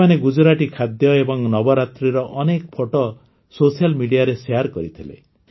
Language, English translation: Odia, They also shared a lot of pictures of Gujarati food and Navratri on social media